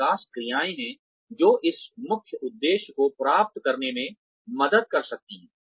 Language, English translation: Hindi, And, there are development actions, that can help achieve, this main objective